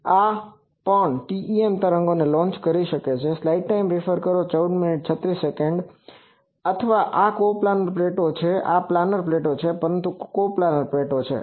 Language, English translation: Gujarati, So, this also this can launch TEM waves Or this is coplanar plates, planar plates, but coplanar